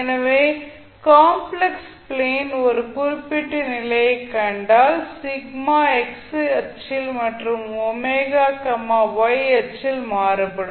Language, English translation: Tamil, So if you see the particular condition in the a complex plane so sigma is varying in the at the x axis and g omega at the y axis